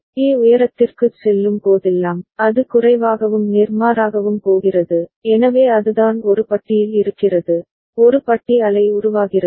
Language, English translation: Tamil, Whenever A is going high, it is going low and vice versa, so that is what is there in A bar ok, A bar wave form all right